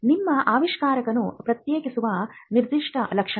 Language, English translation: Kannada, The general features that are common to your invention